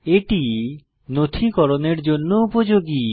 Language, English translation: Bengali, It is useful for documentation